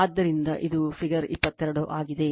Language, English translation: Kannada, So, this is figure 22 right